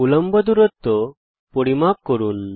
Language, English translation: Bengali, Measure perpendicular distances